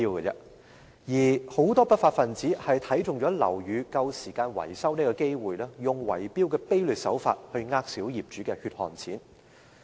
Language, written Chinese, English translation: Cantonese, 有很多不法分子看上樓宇快將到期維修的機會，便以圍標的卑劣手法欺騙小業主的血汗錢。, Whenever building maintenance is about to be carried out many lawbreakers will make use of the opportunity to cheat on small property owners with despicable tender rigging practices